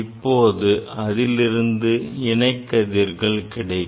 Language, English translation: Tamil, Then will get the parallel rays